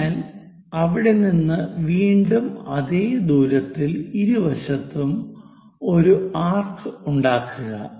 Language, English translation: Malayalam, So, from there again with the same radius make an arc on both sides